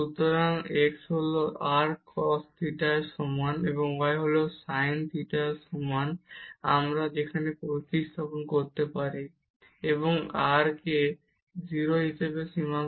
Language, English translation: Bengali, So, x is equal to r cos theta and y is equal to r sin theta we can substitute there, and take the limit as r goes to 0